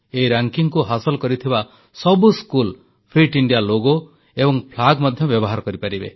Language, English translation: Odia, The schools that achieve this ranking will also be able to use the 'Fit India' logo and flag